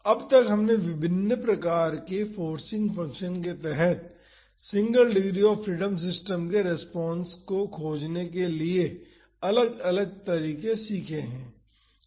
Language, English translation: Hindi, So, far we have learned different methods to find the response of a single degree of freedom system under various type of forcing functions